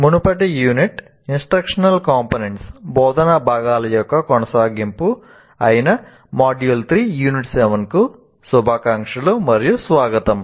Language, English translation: Telugu, Greetings and welcome to module 3, unit 7, which is actually continuation of the previous unit where we were talking about instructional components